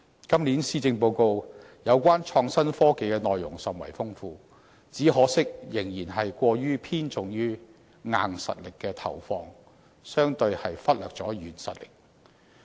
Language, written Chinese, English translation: Cantonese, 今年施政報告有關創新科技的內容甚為豐富，只可惜仍然過分偏重於"硬實力"，相對忽略了"軟實力"。, The Policy Address this year talks a lot about innovation and technology though the emphasis is still more on hard power than on soft power